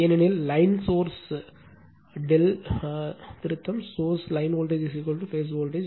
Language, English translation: Tamil, Because, line source are delta correction source line voltage is equal to phase voltage